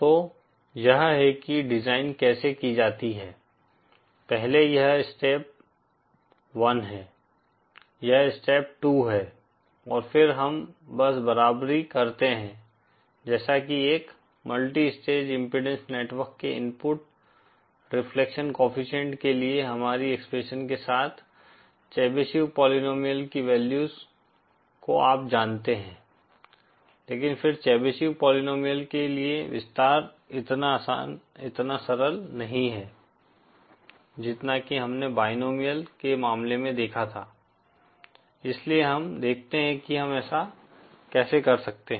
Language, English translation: Hindi, So this is how the design goes, first this is step 1, this is step 2 and then we just simply equate you know the values of the Chebyshev polynomial with our expression for the input reflection coefficient of a multi stage impudence matching network, but then the expansion for the Chebyshev polynomial is not so simple as we saw as the case for the binomial, so let us see how we can do that